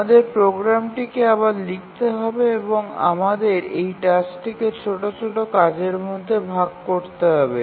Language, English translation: Bengali, We need to bit of rewrite our program and we need to split this task into smaller tasks